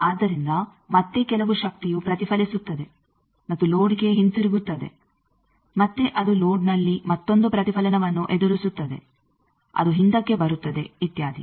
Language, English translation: Kannada, So, again some power that will be reflected and go back to the load, again that will face another reflection at the load that will come back etcetera